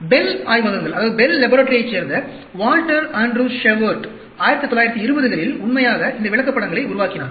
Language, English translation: Tamil, Walter Andrew Shewhart of the Bell Laboratories originally developed these charts in the 1920s